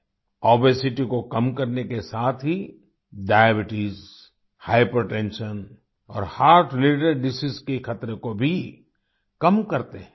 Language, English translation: Hindi, Along with reducing obesity, they also reduce the risk of diabetes, hypertension and heart related diseases